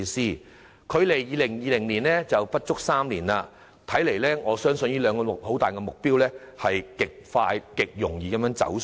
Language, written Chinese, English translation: Cantonese, 現在距2020年尚有不足3年，如此看來，政府這兩大目標勢必極快速及極容易地"走數"。, With less than three years left before 2020 it seems that it is most unlikely that the Government will be able to achieve these two major targets